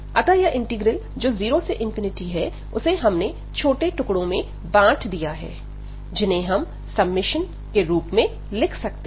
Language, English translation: Hindi, So, this integral 0 to infinity, we have broken into several this is small segments over the range